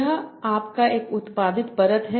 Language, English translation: Hindi, This is your output layer